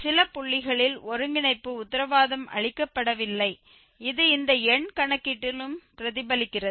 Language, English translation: Tamil, At some points and hence the convergence is not guaranteed which is also reflected in this a numerical calculation